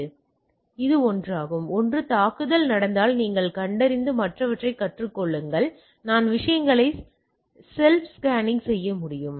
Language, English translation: Tamil, So, this is a one is that one the attack happens then you detect and learn other is that I can do a self scanning of the things